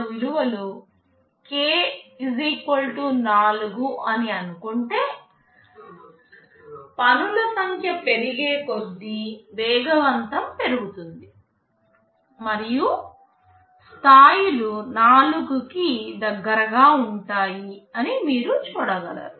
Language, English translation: Telugu, Let us say k = 4; you see as the number of tasks increases, the speedup increases increase and levels to very close to 4